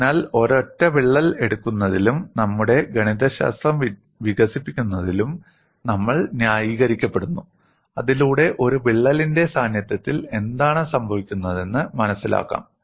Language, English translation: Malayalam, So, we are justified in taking a single crack and develop our mathematics so that we understand what happens in the presence of a crack